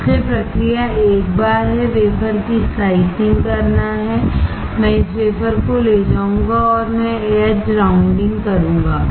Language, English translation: Hindi, So, the process is once I slice the wafer, I will take this wafer and I will do the edge rounding